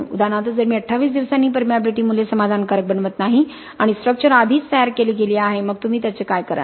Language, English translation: Marathi, For example if at 28 days I do not make the permeability values satisfactorily the structure is already been build, what do you do with it